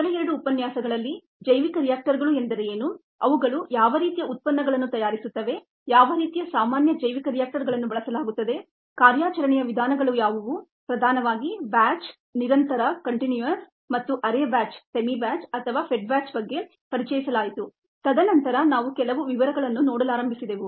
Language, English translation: Kannada, in the first two lectures we got introduced to what bioreactors where, what kind of products they make, what are the common types of bioreactors that i used, what are the modes of operation predominantly batch, continuous and semi batch or fed batch